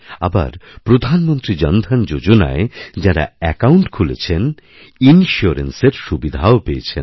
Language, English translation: Bengali, And those who opened their accounts under the Pradhan Mantri Jan DhanYojna, have received the benefit of insurance as well